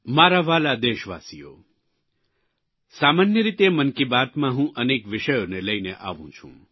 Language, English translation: Gujarati, My dear countrymen, generally speaking, I touch upon varied subjects in Mann ki Baat